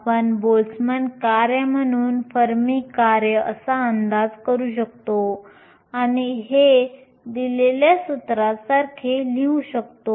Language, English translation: Marathi, We can approximate the fermi function as a Boltzmann function and write this exponential minus e minus e f over kT